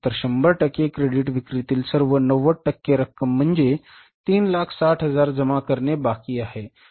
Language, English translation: Marathi, So, all 100% of the credit sales of 90% that is 3,000 is left to be collected